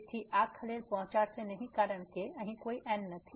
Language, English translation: Gujarati, So, this will not disturb because there is no term here